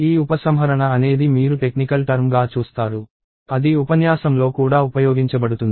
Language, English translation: Telugu, And this dereferencing is something that you will see as a technical term that is used later in the lecture also